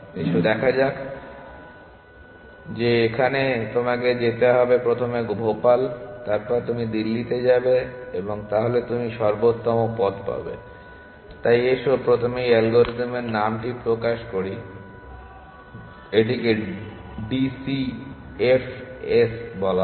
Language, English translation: Bengali, Let us see that that you have to go to you have to first go to Bhopal, then you go to Delhi and you will get the optimal path, so let us first reveal the name of this algorithm it is called d c f s